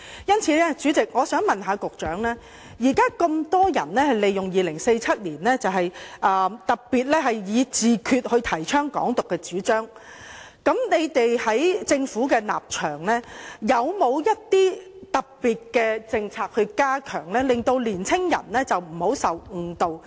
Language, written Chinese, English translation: Cantonese, 因此，主席，我想問副局長，鑒於現時有那麼多人利用2047年，特別是以"自決"來提倡"港獨"的主張，在政府的立場，有否一些特別的政策，以加強令年輕人不要受誤導？, Such being the case President I wish to ask the Under Secretary Given that so many people have taken advantage of 2047 particularly by using self - determination to advocate Hong Kong independence are there specific policies on the part of the Government to step up efforts to prevent young people from being misled?